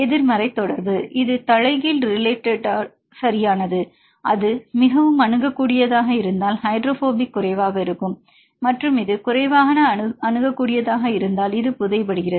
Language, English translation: Tamil, Negative correlation; it is inversely relater right, if it is highly accessible, the less hydrophobic and if it is less accessible this is buried they are highly hydrophobic, right